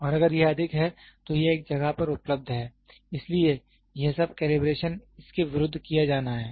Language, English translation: Hindi, And if it is high it is available at one place, so all this calibration has to be done as against this